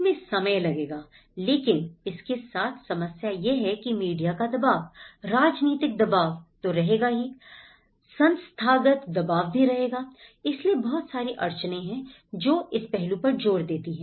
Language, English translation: Hindi, It will take time but the problem with this is the media pressure will be there, the political pressure will be there, the institutional pressure will be there, so a lot of constraints which will add on to this aspect